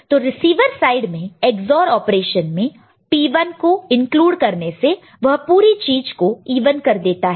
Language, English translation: Hindi, So, inclusion of P 1 in the receiving side in the Ex OR operation would have made everything even the whole of it is even